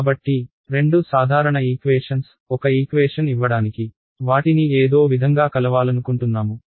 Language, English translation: Telugu, So, two simple equations, I want to combine them somehow to give me a single equation ok